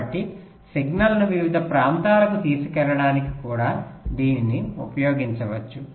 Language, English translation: Telugu, so this can also be used to carry the signal to various regions or zones